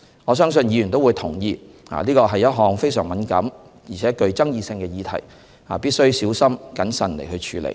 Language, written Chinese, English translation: Cantonese, 我相信議員都會同意，這是一項非常敏感且具爭議性的議題，必須小心謹慎處理。, I believe Members agree that it is a highly sensitive and controversial issue; therefore we need to handle it with extra caution